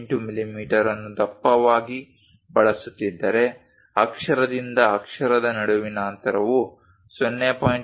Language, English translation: Kannada, 18 millimeters as the thickness, then the gap between letter to letter supposed to be 0